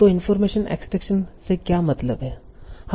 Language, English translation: Hindi, So what is information extraction